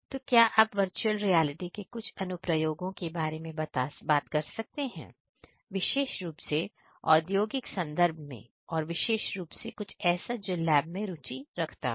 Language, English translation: Hindi, So, could you talk about some of the applications of virtual reality particularly in the industrial context and more specifically something that the lab is interested in